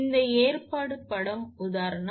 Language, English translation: Tamil, This arrangement is shown in figure example 2